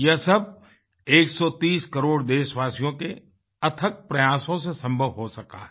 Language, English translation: Hindi, And all this has been possible due to the relentless efforts of a 130 crore countrymen